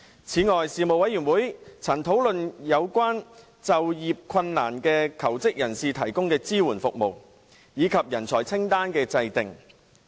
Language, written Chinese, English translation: Cantonese, 此外，事務委員會曾討論為有就業困難的求職人士提供的支援服務，以及人才清單的制訂。, Besides the Panel discussed the provision of support services for job seekers with employment difficulties and the formulation of a talent list